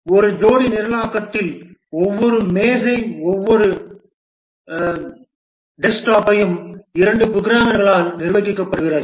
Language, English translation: Tamil, In a pair programming, each desktop is manned by two programmers